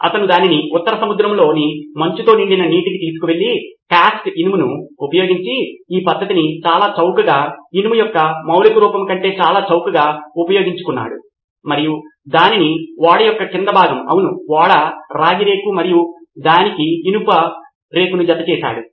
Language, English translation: Telugu, He took it to the icy waters of North Sea and applied this technique of using cast iron which is very cheap, much cheaper than the elemental form of iron and attached it to the hulls of the ship, the copper sheet of the ships and it worked like a charm